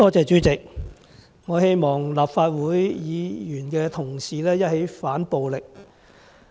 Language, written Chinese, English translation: Cantonese, 主席，我希望立法會的議員同事一起反暴力。, President I hope Honourable colleagues of the Legislative Council can oppose violence together